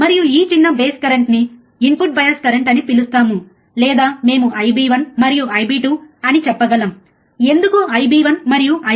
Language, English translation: Telugu, And this small base currents are nothing but we call them as a input bias current or we can say I B 1 and I B 2, why I B 1 and B 2